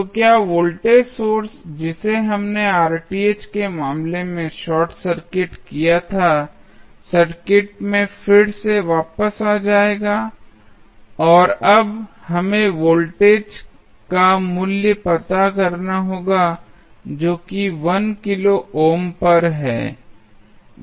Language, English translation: Hindi, So, will the voltage source, which we short circuited in case of Rth will come back in the circuit again and now, we have to find out the value of the voltage which is across 1 kilo ohm that is V naught